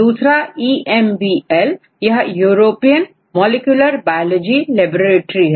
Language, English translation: Hindi, EMBL is maintain from European Molecular Biology Laboratory right